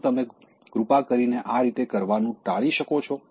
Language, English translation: Gujarati, Could you please avoid doing that in this manner